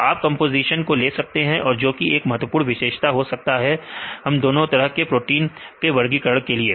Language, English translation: Hindi, So, you can take the composition, one could be an important feature to classify theses 2 type of proteins right